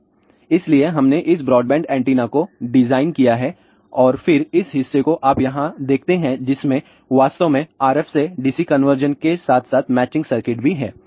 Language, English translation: Hindi, So, we designed this broadband antenna and then this portion what you see over here that has actually RF to DC conversion as well as matching circuit